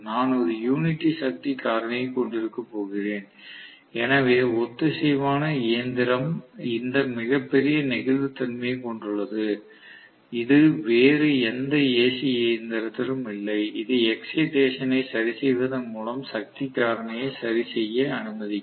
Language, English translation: Tamil, I am going to have unity power factor, so synchronous machine has this greatest flexibility, which is not there in any other AC machine, which will allow me to adjust the power factor by adjusting the excitation